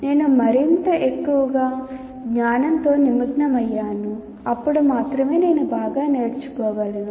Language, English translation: Telugu, If I am the more and more engaged with the knowledge, then only I will be able to learn better